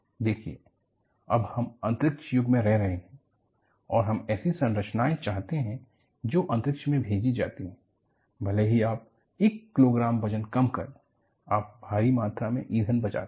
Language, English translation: Hindi, See, now, we are living in a space age and we want to have structures that, are pumped into space, even if you reduce 1 kilogram of weight, you save enormous amount of fuel